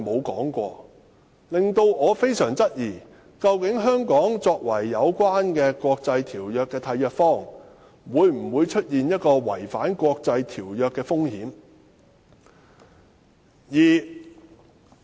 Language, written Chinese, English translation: Cantonese, 這令我非常質疑香港作為有關國際條約的締約方，是否存在違反國際條約的風險。, This makes me very doubtful if Hong Kong as a contracting party of the relevant international treaties is at risk of breaching the relevant treaties